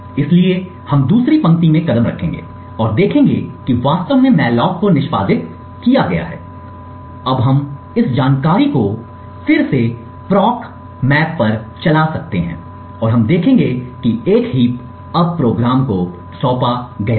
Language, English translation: Hindi, So we will single step to another line and see that the malloc has actually been executed, we can now run this info proc map again and we would see that a heap has now been assigned to the program